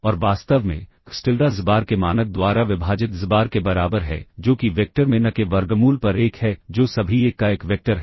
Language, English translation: Hindi, And in fact, xTilda equals xbar divided by norm of xbar that is 1 over square root of n into the vector that is one vector of all 1